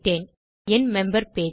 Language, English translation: Tamil, no, the member page